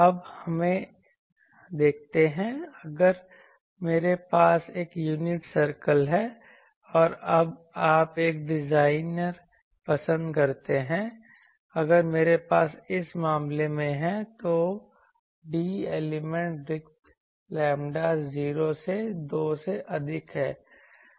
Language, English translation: Hindi, Now, let us see I think so, if I have an unit circle and now you see a designers choice, if I have in this case the d element spacing is greater than lambda 0 by 2